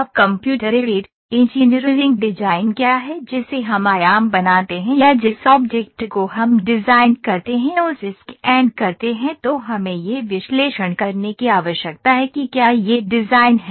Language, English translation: Hindi, Now what is Computer Aided Engineering the design that we make taking the dimensions or scanning the object we make a design then we need to analyse whether this design